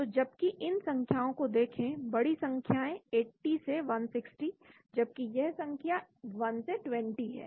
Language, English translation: Hindi, So whereas look at these numbers big numbers 80 to 160, whereas these numbers are 1 to 20